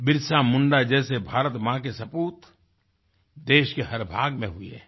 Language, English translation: Hindi, Illustrious sons of Mother India, such as BirsaMunda have come into being in each & every part of the country